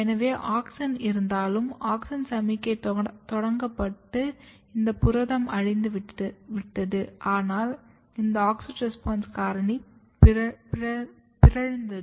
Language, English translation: Tamil, So, even auxin is there, auxin signalling is started so, again I will come here so, auxin is there this protein is degraded, but this auxin response factor is mutated